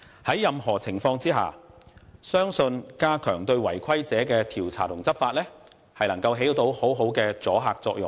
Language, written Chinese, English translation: Cantonese, 在任何情況下，我相信加強對違規者的調查及執法，將能發揮很好的阻嚇作用。, In any case I believe strengthening investigations into lawbreakers and law enforcement can achieve a desirable deterrent effect